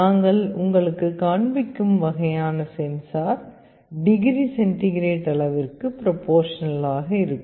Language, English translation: Tamil, The kind of sensor that we shall be showing you, it will be proportional to the degree centigrade the temperature